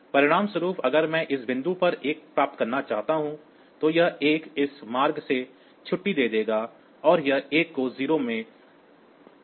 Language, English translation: Hindi, As a result even if I want to get a 1 at this point, this 1 will get discharged by this path and this 1 will be modified to 0